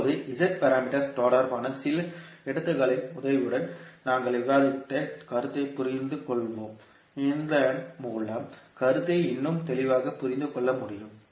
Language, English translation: Tamil, Now, let us understand the concept which we discussed related to Z parameters with the help of few examples so that you can understand the concept more clearly